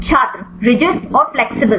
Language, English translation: Hindi, Rigid and flexible